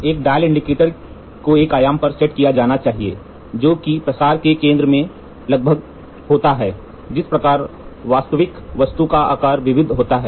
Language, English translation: Hindi, A dial indicator should be set to the dimension that is approximately in the centre of the spread over which the actual object size is varied